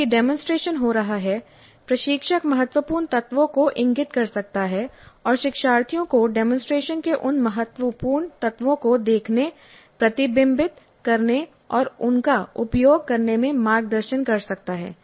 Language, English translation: Hindi, So while demonstration is in happening, instructor can point out to the critical elements and guide the learners into observing, reflecting on and using those critical points, critical elements of the demonstration